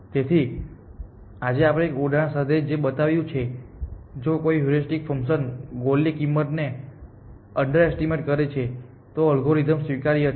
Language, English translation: Gujarati, So, what we have shown with an example today, that if a heuristic function underestimates the cost of the goal then the algorithm is admissible